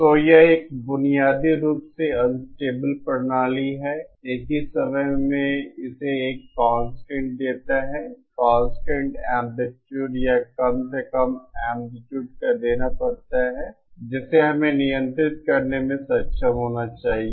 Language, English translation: Hindi, So it is a fundamentally unstable system, at the same time it has to produce a constant, it has to produce an output of constant amplitude or at least the amplitude that we should be able to control